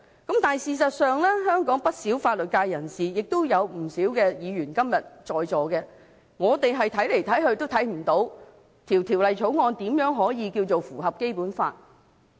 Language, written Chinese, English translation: Cantonese, 但是，事實上，香港不少法律界人士，今天也有不少在席議員，怎樣看也看不到《條例草案》如何能夠符合《基本法》。, But in fact some members of the legal profession in Hong Kong including those who are present here fail to see in whatever way how the Bill complies with the Basic Law